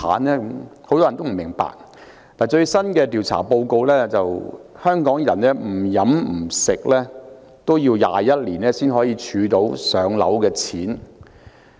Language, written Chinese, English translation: Cantonese, 根據最新的調查報告，即使香港人不吃不喝，也要21年才可儲到"上樓"的錢。, According to the latest survey even if Hong Kong people do not spend any money on food they will take 21 years to save enough money for home purchase